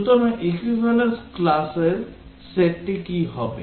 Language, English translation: Bengali, So, what will be the set of equivalence classes